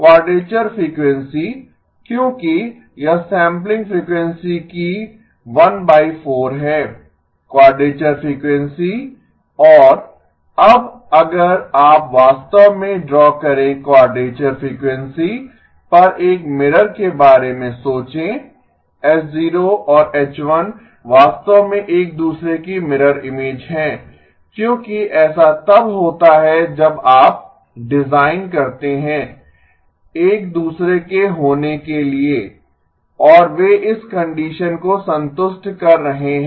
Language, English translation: Hindi, Quadrature frequency because it is 1 divided by 4 of the sampling frequency, quadrature frequency and now if you actually draw think of a mirror at the quadrature frequency, H0 and H1 are actually mirror images of each other because that is what happens when you design one to be the other and they are satisfying this condition